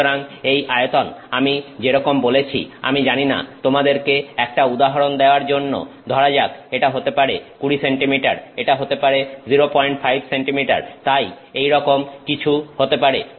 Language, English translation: Bengali, So, this dimension I like I said this is I do not know to give you an example this could say 20 centimeters, this could be 0